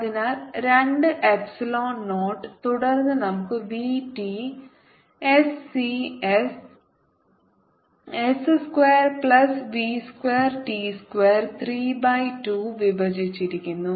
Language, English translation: Malayalam, and then we have v t s, d s s square plus v square t square, three by two